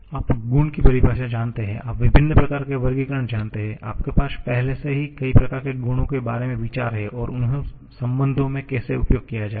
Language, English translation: Hindi, You know the definition of property; you know different types of classifications, you already have idea about several kinds of properties and how to use them in relations